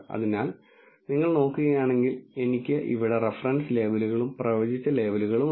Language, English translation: Malayalam, So, if you look at it, I have the reference labels here and I have the predicted labels here